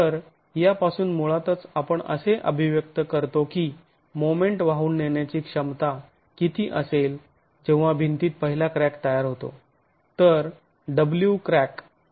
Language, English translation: Marathi, So, from this we basically have an expression for what is the moment carrying capacity when the first crack is forming in the wall